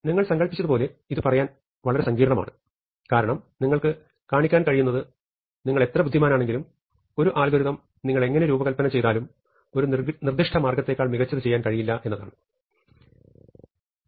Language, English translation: Malayalam, Now, as you might imagine this is the fairly complex thing to say because what you have to able to show is that no matter how clever you are, no matter how you design an algorithm you cannot do better than a certain thing